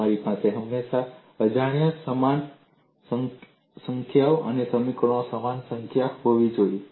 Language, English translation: Gujarati, You should always have equal number of unknowns and equal number of equations